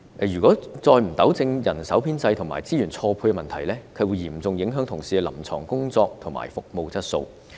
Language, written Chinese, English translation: Cantonese, 如果再不糾正人手編制和資源錯配問題，將會嚴重影響同事的臨床工作及服務質素。, If the problems of staffing establishment and resource mismatch were not rectified the clinical work and service quality of health care personnel would be affected